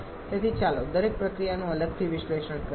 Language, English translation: Gujarati, So, let us analyze each of the processes separately